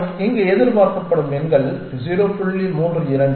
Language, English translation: Tamil, And those are the expected numbers here 0